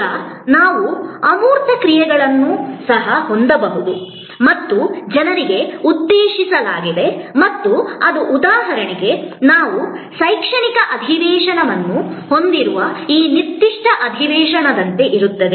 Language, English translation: Kannada, Now, we can have also intangible actions and meant for people and that will be like for example, this particular session that we are having an educational session